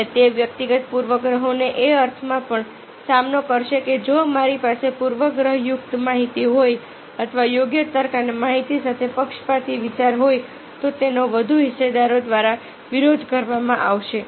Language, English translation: Gujarati, and it will also counter the personal bias, in the sense that if i have a biased information or a biased idea with appropriate logic and information, it will be countered by the over stake holders